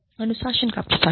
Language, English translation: Hindi, Administration of discipline